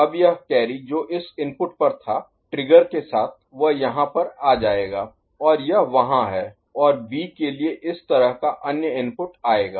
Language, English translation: Hindi, Now this carry which was at this input with the trigger will come over here and it is there and for B another such input will come ok